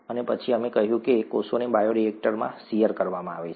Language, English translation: Gujarati, And then, we said that cells are subjected to shear in a bioreactor